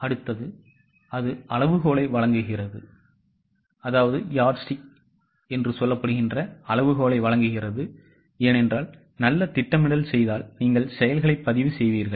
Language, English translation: Tamil, Next one will be, it provides the yardstick because having done the good planning, you will record the actuals